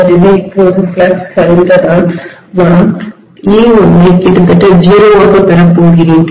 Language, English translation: Tamil, So now if flux collapses I am going to have e1 becoming almost 0